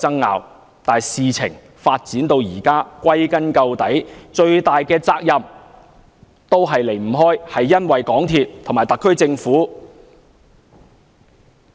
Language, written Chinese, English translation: Cantonese, 然而，事情發展至今，歸根結底，最大的責任都離不開港鐵公司及特區政府。, With the development of the issue so far MTRCL and the SAR Government have to bear the largest share of the responsibilities after all